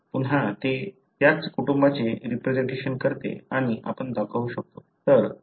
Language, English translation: Marathi, Again it represents pretty much the same family and we can show